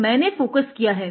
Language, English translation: Hindi, So, I have focused it